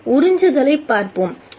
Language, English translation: Tamil, Let's look at absorption